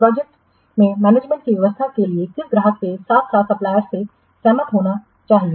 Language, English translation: Hindi, The arrangements for the management of the project must be agreed by the what client as well as the supplier